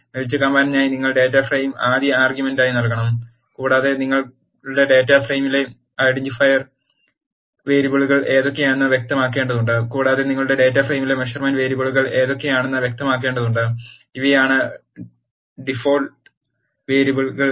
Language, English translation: Malayalam, For the melt command you have to give the data frame as first argument and you have to specify what are the identifier variables in your data frame , and you have to also specify what are the measurement variables in your data frame and these are the default variable and value arguments that, are generated when the melt command is executed